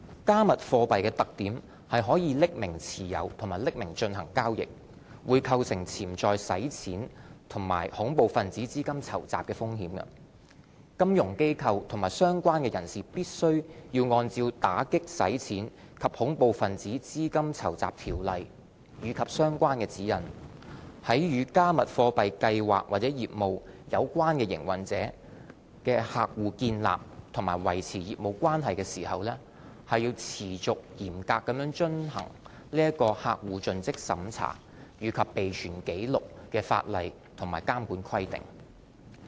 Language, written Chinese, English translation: Cantonese, "加密貨幣"的特點是可以匿名持有和進行交易，會構成潛在洗錢及恐怖分子資金籌集的風險，金融機構及相關人士必須按照《打擊洗錢及恐怖分子資金籌集條例》及相關指引，在與"加密貨幣"計劃或業務有關營運者的客戶建立或維持業務關係時，持續嚴格遵行客戶盡職審查及備存紀錄的法例和監管規定。, The anonymous nature of holding and transacting cryptocurrencies poses potential money laundering or terrorist financing risks . Financial institutions and related persons must comply continuously with the statutory customer due diligence and record keeping requirements under the Anti - Money Laundering and Counter - Terrorist Financing Ordinance and relevant guidelines when establishing or maintaining business relationships with customers who are operators of any schemes or businesses relating to cryptocurrencies